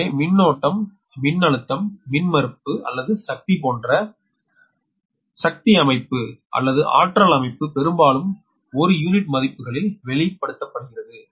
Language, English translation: Tamil, so power system, such as current voltage, impedance or power, are often expressed in per unit values, right